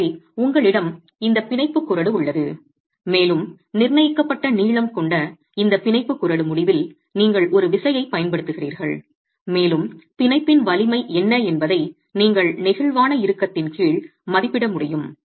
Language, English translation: Tamil, So you have this bond range and at the end of this bond range which has a prescribed length, you apply a force and you are able to estimate under flexual tension, what is the strength of the bond itself